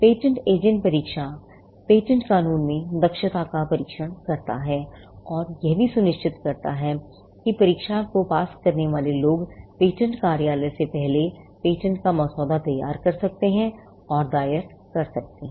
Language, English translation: Hindi, Now, the patent agent examination, tests proficiency in patent law, and it also ensures that the people who clear the exam can draft and file patents before the patent office